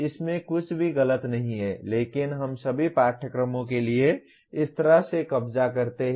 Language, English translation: Hindi, There is nothing wrong with that but we capture like this for all the courses